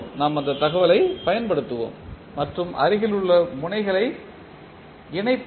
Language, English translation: Tamil, We will use that information and connect the adjacent nodes